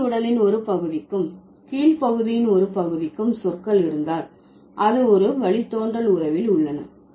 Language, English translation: Tamil, If words for a part of the upper body and a part of the lower are in a derivational relationship, the upper body term is the base